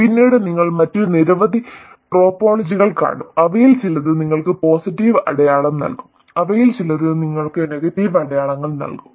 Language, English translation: Malayalam, Later you will see many other topologies, some of which will give you positive signs, some of which will give you negative signs